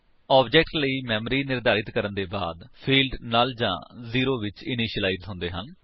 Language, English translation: Punjabi, After the memory is allocated for the object, the fields are initialized to null or zero